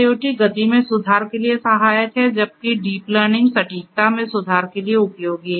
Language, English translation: Hindi, IIoT is helpful for improving the speed; whereas, deep learning is useful for improving the accuracy